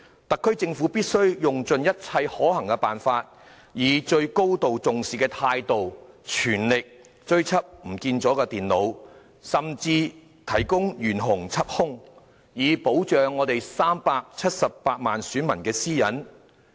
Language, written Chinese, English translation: Cantonese, 特區政府必須用盡一切可行的辦法，以最高度重視的態度，全力追緝遺失的電腦，甚至懸紅緝兇，以保護我們378萬選民的私隱。, The SAR Government must take the incident really seriously and make its best endeavours to recover the lost computers or even offering a reward for arresting the suspects in order to protect the privacy of 3.78 million electors